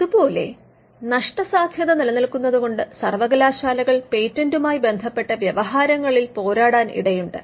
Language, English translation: Malayalam, Now, we can see that because of the stakes involved universities are also likely to fight patent litigation